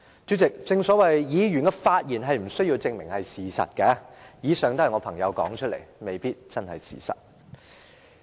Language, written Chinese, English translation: Cantonese, 主席，議員的發言無須證明是事實，以上是我朋友所說的話，未必是事實。, President there is no requirement for Members to prove that their speeches are based on facts . What I have just said are quotes from my friends and may not necessarily be true